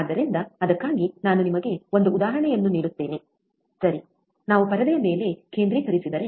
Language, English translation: Kannada, So, for that let me give you an example, all right so, if we focus on screen